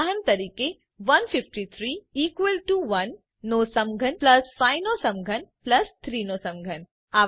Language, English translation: Gujarati, For example, 153 is equal to 1 cube plus 5 cube plus 3 cube